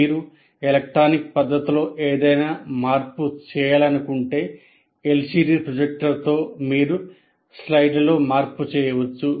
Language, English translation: Telugu, Now LCD projector, if you want to make any change electronically you can make the change in the slides that you make